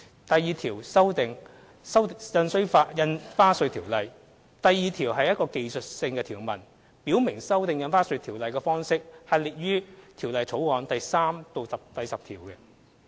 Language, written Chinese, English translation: Cantonese, 第2條─修訂《印花稅條例》第2條為技術性條文，表明修訂《印花稅條例》的方式列於《條例草案》第3至10條。, Clause 2―Stamp Duty Ordinance amended Clause 2 is a technical provision stipulating that the Stamp Duty Ordinance is amended as set out in sections 3 to 10 of the Bill